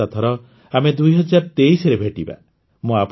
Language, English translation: Odia, Next time we will meet in the year 2023